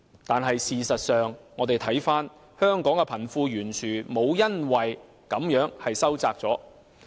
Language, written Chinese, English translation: Cantonese, 但是，事實上，香港的貧富懸殊沒有因而收窄。, However in effect wealth disparity in Hong Kong has not been narrowed